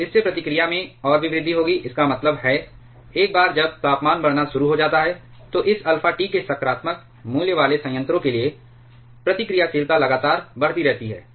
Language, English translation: Hindi, So, that will cause even further increase in the reactivity; that means, once the temperature starts increasing, for a reactor with positive value of this alpha T, the reactivity keeps on increasing continuously